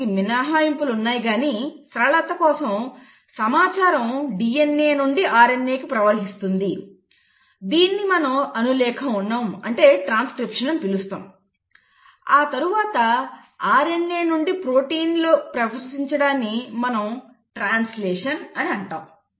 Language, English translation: Telugu, There are exceptions to it but by and large for simplicity's sake, the information flows from DNA to RNA which is what you call as transcription; then from RNA into protein which is what you call as translation